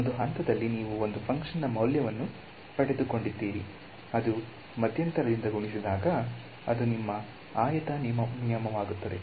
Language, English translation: Kannada, So, you have got the value of a function at one point multiplied by the interval that is your rectangle rule ok